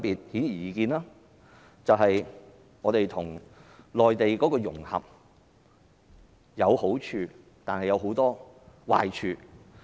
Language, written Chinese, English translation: Cantonese, 顯而易見，本港與內地的融合，有好處亦有很多壞處。, Apparently Hong Kong - Mainland integration has brought not only benefits but also many disadvantages to Hong Kong